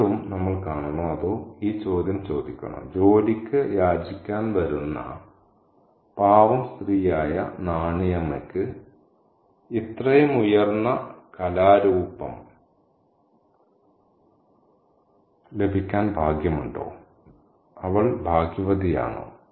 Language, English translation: Malayalam, And again, should we see or should we ask this question, is Nanyama the poor woman who comes to beg for work, is lucky to have such a piece of higher art